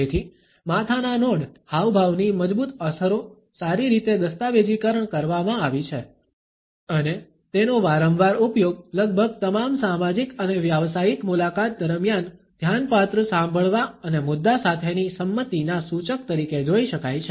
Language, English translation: Gujarati, So, the reinforcing effects of the head nod gestures have been well documented and its frequent use can be seen during almost all social and professional encounters as an indicator of attentive listening and agreement with the content